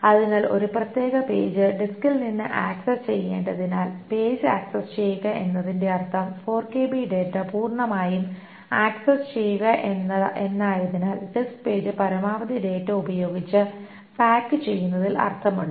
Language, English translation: Malayalam, So since a particular page must be accessed from the disk, since accessing the page meaning accessing all 4 kilobytes of data, it makes sense to pack in the disk page with as much data as possible